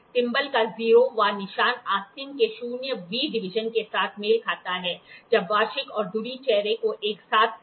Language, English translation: Hindi, The 0th mark of the thimble will coincide with the zeroth division of the sleeve, when the annual and the spindle faces are brought together